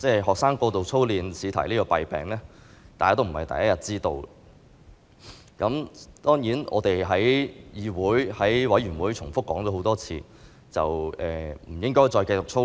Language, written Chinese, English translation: Cantonese, 學生過度操練試題的弊病，大家並非第一天知道，當然我們在議會相關委員會上多次指出，不應繼續讓學生操練。, Drilling students excessively is not a new problem . As we have pointed out at the relevant panels of this Council time and again schools should stop drilling students